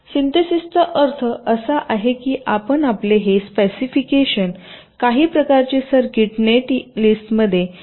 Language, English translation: Marathi, synthesis means you are trying to translate your simu, your this specification, into some kind of circuit net list